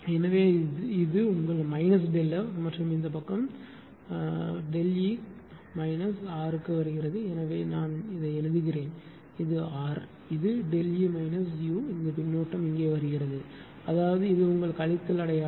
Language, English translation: Tamil, So, this is your minus delta F and this side ah this side is coming R into to your delta E minus u are; here I am writing this is R, this is delta E minus u this feedback is coming here right so that means, this is your minus sign is there